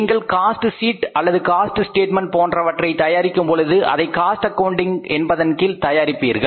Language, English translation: Tamil, When you prepare a cost sheet, when you prepare a statement of cost, that cost sheet or the statement of the cost is prepared under the cost accounting